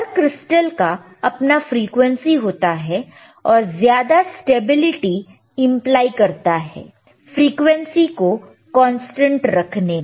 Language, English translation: Hindi, Each crystal has itshis own frequency and implies greater stability in holding the constant frequency